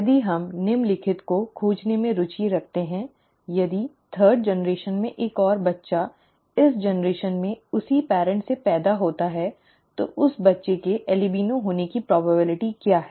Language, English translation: Hindi, If we are interested in finding the following, if another child in the third generation, in this generation is born to the same parents, what is the probability of that child being an albino, okay